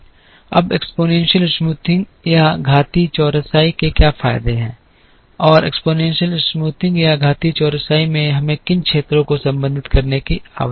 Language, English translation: Hindi, Now, what are the advantages of exponential smoothing and what are the areas we need to address in exponential smoothing